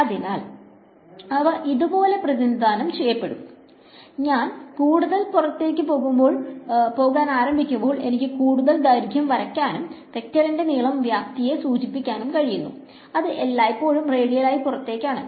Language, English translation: Malayalam, So, they will be represented like this, start with as I go further outside I can draw longer length, the length of the vector denotes the magnitude and it is always radially outwards